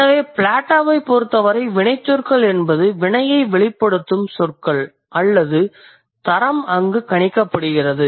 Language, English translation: Tamil, So, for Plato, verbs are the terms which could express the action or quality is predicated over there